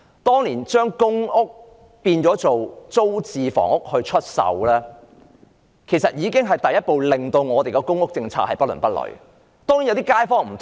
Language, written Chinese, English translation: Cantonese, 當年把公屋變為租置房屋出售，已經是第一步令本港公屋政策變得不倫不類。, Back then PRH units were put up for sale and that was the first step taken to make the public housing policy of Hong Kong neither fish nor fowl